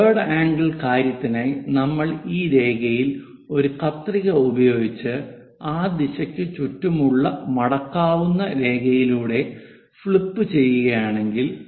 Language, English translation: Malayalam, For third angle thing if we are making a scissor in this line and flip it a folding line around that direction, this entire object comes to this location